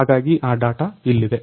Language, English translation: Kannada, So, that data is here